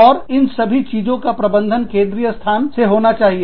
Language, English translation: Hindi, And, all this has to be managed, in a central location